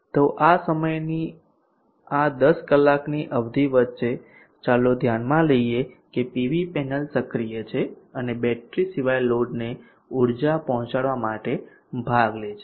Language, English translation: Gujarati, in the evening so between this time this 10 hour duration let us consider that PV panel is active and participating in delivering energy to the load apart from the battery